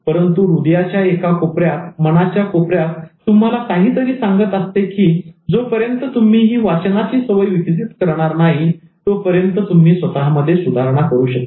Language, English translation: Marathi, Apparently, but inside your heart, inside your mind, something is telling you that unless you develop this reading habit, you cannot improve yourself